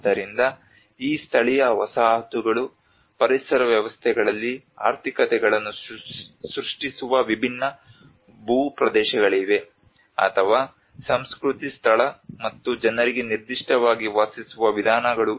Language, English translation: Kannada, So these vernacular settlements are located in different terrains within ecosystems creating economies, or ways of living particular to culture place and people